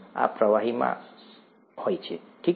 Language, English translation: Gujarati, This is in the liquid, okay